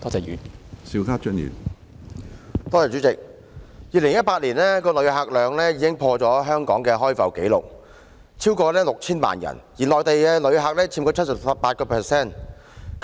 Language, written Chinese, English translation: Cantonese, 2018年的旅客量已經破了香港的開埠紀錄，有超過6000萬人次，而內地旅客佔 78%。, The number of visitor arrivals in 2018 has exceeded 60 million and broken the record of Hong Kong since the territory was opened as a port and 78 % of such arrivals were from the Mainland